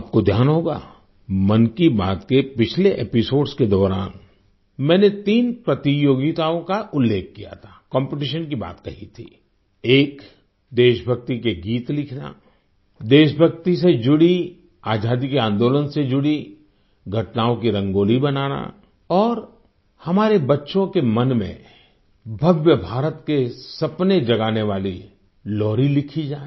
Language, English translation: Hindi, You might be aware…in the last episodes of Mann Ki Baat, I had referred to three competitions one was on writing patriotic songs; one on drawing Rangolis on events connected with patriotic fervor and the Freedom movement and one on scripting lullabies that nurture dreams of a grand India in the minds of our children